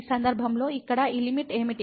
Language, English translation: Telugu, And in this case what is this limit here now